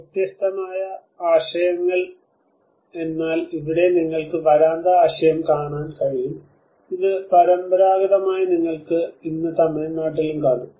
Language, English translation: Malayalam, So different ideas but here you can see the veranda concept which is this traditionally you can find today in Tamil Nadu as well